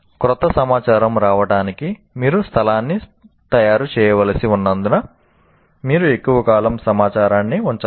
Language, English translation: Telugu, You cannot keep information for a long period because you have to make space for the new information to come in